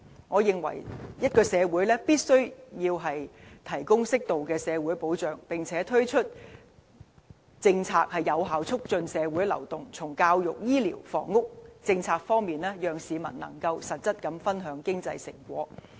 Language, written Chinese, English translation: Cantonese, 我認為一個社會必須提供適度的社會保障，並推行有效促進社會流動的政策，從教育、醫療和房屋政策方面，讓市民實質分享經濟成果。, I believe that every society must offer its people with proper social protection as well as formulating effective policies which promote social mobility so as to allow the people a real share of economic benefits through policies on education health care and housing